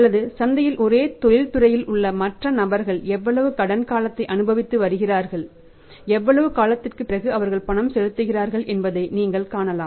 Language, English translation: Tamil, Or you can see the other players in the in the market who are into the same industry how much credit period they are enjoying and how much day after period they are making the payment